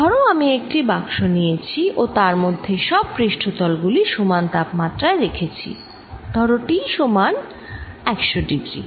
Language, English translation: Bengali, suppose i take a box and put all the surfaces at the same temperature unless t equals hundred degrees